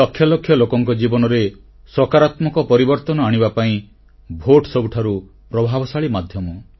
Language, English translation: Odia, The vote is the most effective tool in bringing about a positive change in the lives of millions of people